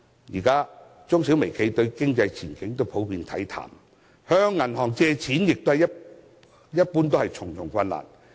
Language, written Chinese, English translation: Cantonese, 現時中小微企對經濟前景普遍看淡，向銀行借錢亦困難重重。, Predicting a bleak economic outlook SMEs and micro - enterprises find it increasingly difficult to borrow money from banks